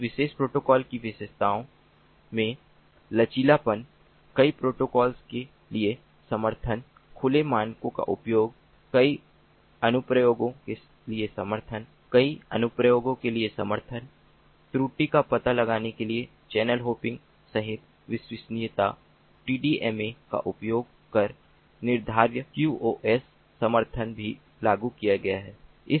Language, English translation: Hindi, the features of this particular protocol include flexibility, support for multiple protocols, use of open standards, support for multiple applications, reliability, including error detection, channel hopping, determinism using tdma